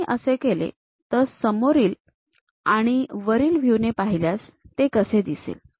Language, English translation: Marathi, If I do that; how it looks like in front view and top view